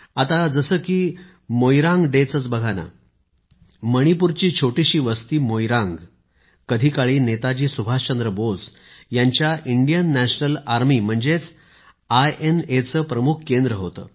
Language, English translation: Marathi, Now, take Moirang Day, for instance…the tiny town of Moirang in Manipur was once a major base of Netaji Subhash Chandra Bose's Indian National Army, INA